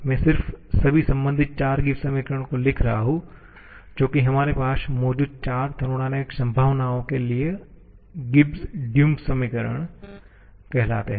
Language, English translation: Hindi, I am just writing all the corresponding 4 Gibbs equations that are so called the Gibbs Duhem equation for the 4 thermodynamic potentials that we have